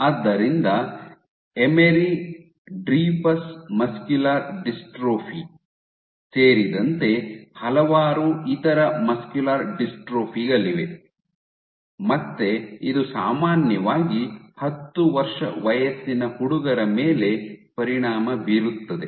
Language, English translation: Kannada, So, there are various other muscular dystrophies including Emery Dreifuss muscular dystrophy, typically again affects boys around 10